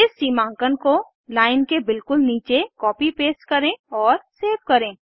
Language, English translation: Hindi, Let us copy and paste the demarcation, just below the line and save it